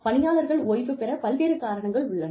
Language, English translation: Tamil, Various reasons are there, for people to retire